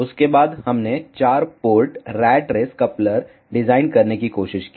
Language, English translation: Hindi, After that we tried to design four port rat race coupler